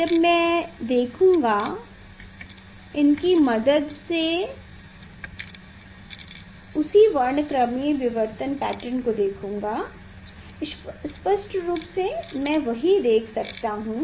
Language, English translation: Hindi, when I will see, when I will see the that same spectral diffraction patterns through this yes, clearly, I can see that same one